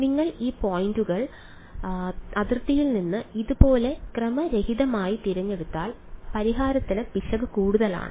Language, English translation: Malayalam, If you pick these points at random like this away from the boundary the error in the solution is high